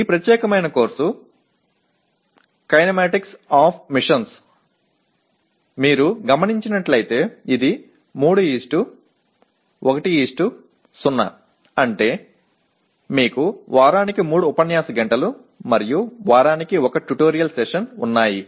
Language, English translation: Telugu, As you can see this particular course, kinematics of machines, it is a 3:1:0 that means you have 3 lecture hours per week and 1 tutorial session per week